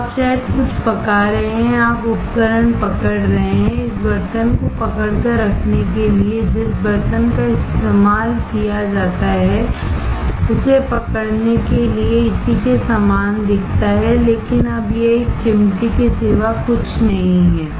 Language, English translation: Hindi, So, you maybe cooking something, you are holding the equipment; the holding this utensil, that to hold the utensil the tool that is used looks similar to this, but now this nothing but a tweezer